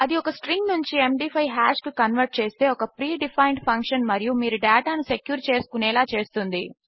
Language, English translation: Telugu, Its a predefined function that converts a string to a MD5 hash and allows you to secure your data